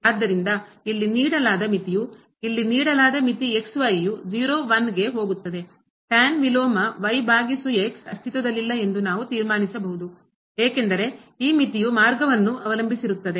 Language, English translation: Kannada, So, what we can conclude that again the limit the given limit here goes to inverse over does not exist because this limit depends on the path